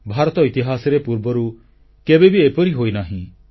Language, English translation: Odia, This is unprecedented in India's history